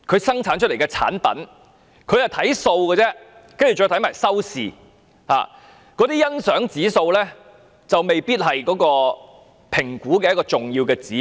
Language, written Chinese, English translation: Cantonese, 審計署看的是數字，然後是收視，但節目的欣賞指數未必是審核的一個重要指標。, Yet the Audit Commission looks at the figures and viewership whereas the appreciation index of these progrommes may not be regarded as a significant indicator in the assessment